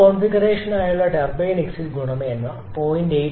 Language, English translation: Malayalam, Turbine exit quality for this configuration is 0